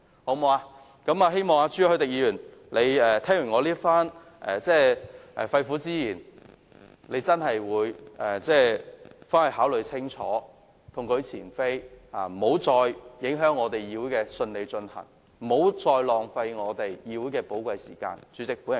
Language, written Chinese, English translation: Cantonese, 我希望朱凱廸議員聽完我的肺腑之言後會考慮清楚，痛改前非，不要再影響議會的順利進行，不要再浪費議會的寶貴時間。, I hope that Mr CHU Hoi - dick after listening to my sincere advice will think it over and repent and refrain from disturbing the smooth operation and wasting the precious time of the Council